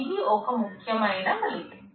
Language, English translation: Telugu, This is an important result